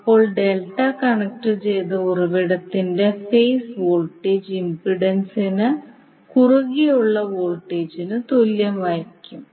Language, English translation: Malayalam, Than the phase voltage of the delta connected source will be equal to the voltage across the impedance